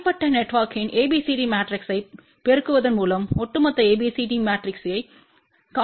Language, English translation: Tamil, By multiplying ABCD matrix of individual network we can find overall ABCD matrix